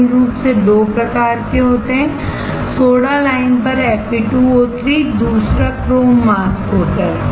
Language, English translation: Hindi, There are two types basically one is Fe2O3 on soda lime, second one is chrome mask